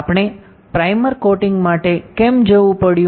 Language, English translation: Gujarati, So, why we had to go for primer coating